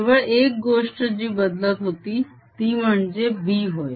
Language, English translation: Marathi, the only thing that was changing, that was b